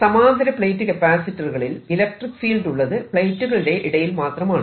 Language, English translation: Malayalam, now in a parallel plate capacitor, the only place where the electric field is is between the plates